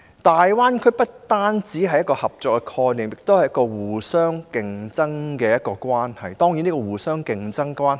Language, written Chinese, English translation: Cantonese, 大灣區不單是一個合作的概念，也涉及城市之間互相競爭的關係。, The Greater Bay Area is based on the concept of cooperation but it also involves competition among cities